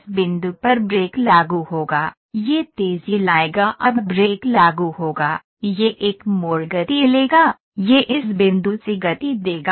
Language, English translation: Hindi, So, at this point brake would apply, it is accelerate now the brake would apply it will take a turn accelerate, it will accelerate from this point ok